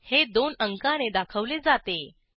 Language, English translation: Marathi, It is denoted by number one